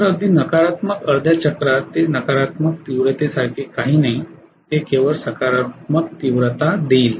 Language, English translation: Marathi, So even in the negative half cycle it going to give there is nothing like a negative intensity, it will give only positive intensity